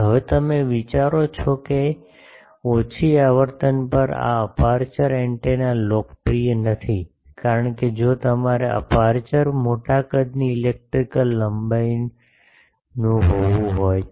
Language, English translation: Gujarati, Now you think that at low frequency these aperture antennas are not popular, because if you want to have the aperture to be of sizable electrical length